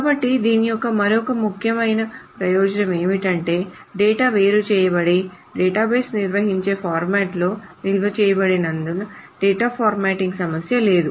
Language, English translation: Telugu, So the other important advantage of this is that because the data is isolated and stored in a format that the database handles, the problem of formatting of data is not there